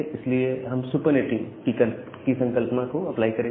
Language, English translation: Hindi, So, here we apply the concept of supernetting